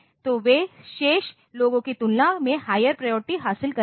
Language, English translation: Hindi, So, they will acquire priorities higher than the remaining ones